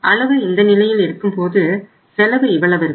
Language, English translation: Tamil, So your quantity when you are at this level and your cost is this much